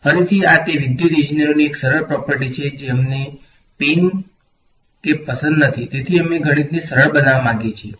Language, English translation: Gujarati, Again this is it is a simple property of electrical engineers we do not like pain so we want to make math easier right